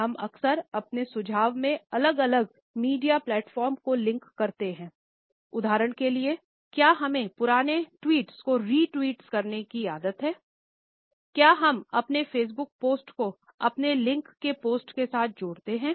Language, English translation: Hindi, How often we link different media platforms in our own suggestions, for example, are we habitual of re tweeting the old tweets, do we connect our Facebook post with our linkedin post also